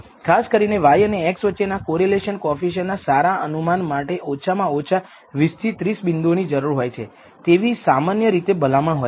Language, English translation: Gujarati, Typically in order to get a good estimate of the correlation coefficient between y and x you need at least 20 30 points